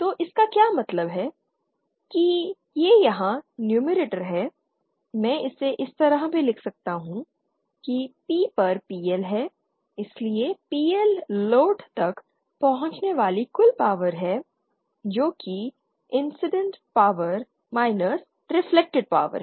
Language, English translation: Hindi, So what it means is that this numerator here, I can write it like this also that is PL upon P in so PL is the total power reaching the load ok that is the incident power minus the reflected power